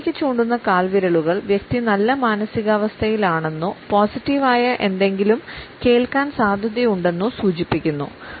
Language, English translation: Malayalam, Toes pointing upwards suggest that the person is in a good mood or is likely to hear something which is positive